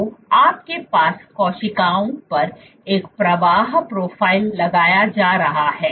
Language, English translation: Hindi, So, you have a flow profile being imposed on the cells